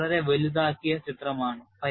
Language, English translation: Malayalam, And this is a very highly magnified picture